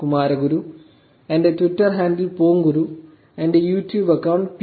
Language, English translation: Malayalam, kumaraguru, my Twitter handle is ponguru and my YouTube account is PK